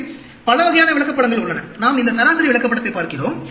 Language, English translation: Tamil, So, there are many types of charts; we look at it, average chart